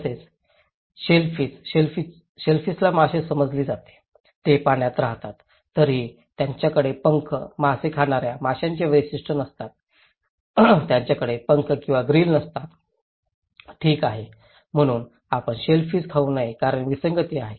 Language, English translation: Marathi, Also, shellfish; shellfish is considered to be fish, they live in the water yet they lack fins, scales, characteristics of true fish, they do not have fins or grills, okay, so you should not eat shellfish because is an anomaly